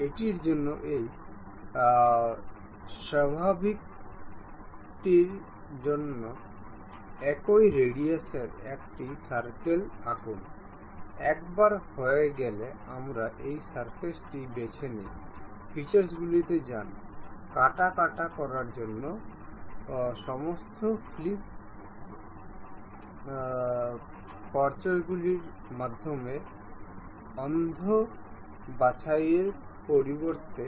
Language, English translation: Bengali, For this normal to it, draw a circle of same radius, once done we pick this surface, go to features, extrude cut, instead of blind pick through all flip side to cut